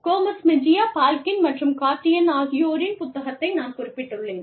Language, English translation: Tamil, And of course, i have referred to the book, by Gomez Mejia, Balkin, and Cardy